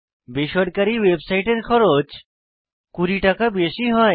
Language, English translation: Bengali, Private websites are more expensive about Rs